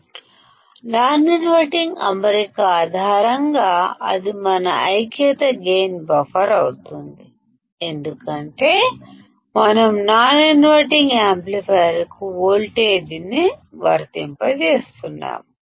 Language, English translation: Telugu, This becomes our unity gain buffer based on non inverting configuration because we are applying voltage to the non inverting amplifier